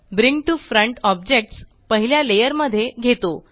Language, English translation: Marathi, Bring to Front brings an object to the first layer